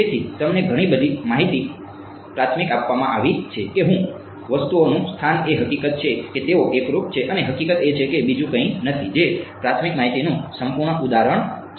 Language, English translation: Gujarati, So, a lot of a priori information has been given to you the location of the objects the fact that they are homogeneous and the fact that there is nothing else that is the perfect example of a priori information